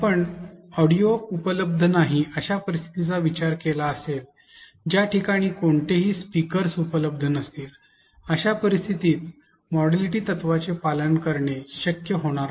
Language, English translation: Marathi, You may have thought of situations like what if audio is not available, all this scenario where there are no speakers, in such cases following modality principle will not be possible